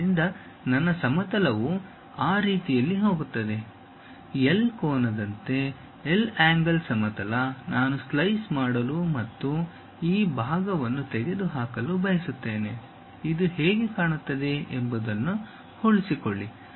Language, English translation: Kannada, So, my plane actually goes in that way; like a L angle, L angle plane I would like to really make a slice and remove this part, retain this how it looks like